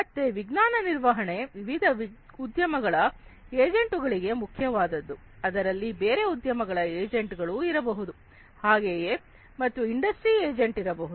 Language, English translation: Kannada, So, this knowledge management is important for different industry agents, there could be other industry agents, likewise, and industry agent, n